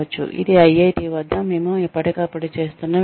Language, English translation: Telugu, This is something that, we here at IIT do, from time to time